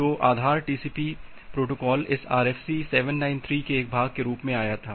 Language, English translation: Hindi, So, the base TCP protocol it came as a part of this RFC 793